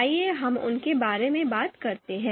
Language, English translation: Hindi, So let us talk about them